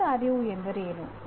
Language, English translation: Kannada, What is awareness of knowledge